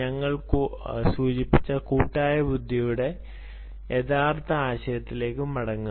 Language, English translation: Malayalam, go back to the original concept of collective intelligence we mentioned